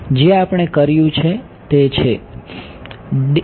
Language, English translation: Gujarati, Which is what we did no